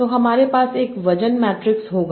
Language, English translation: Hindi, So I will have a weight matrix